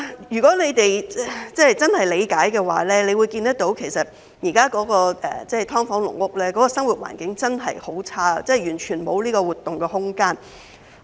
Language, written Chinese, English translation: Cantonese, 如果你們真的能夠理解，其實現時的"劏房"、"籠屋"的生活環境真的很差，完全沒有活動空間。, I wonder if it is understood that the living environment of SDUs and caged homes is really miserable and there is no space to move around at all